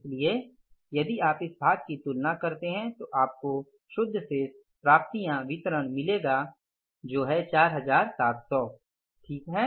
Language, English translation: Hindi, So, if you compare this part only then you will find the net balances, net cash receivolublish is 4,700s